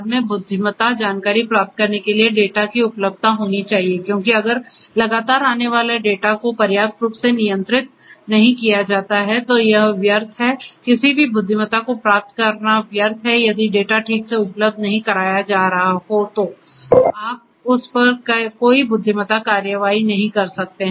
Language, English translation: Hindi, So, availability of the data in order to derive intelligence later on because if the data that is continuously coming etcetera etcetera is not handled adequately, then it is meaningless basically it is meaningless to derive any intelligence if the data is not available properly then you cannot do any further intelligence on it